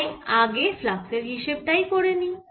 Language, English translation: Bengali, so let's calculate this flux first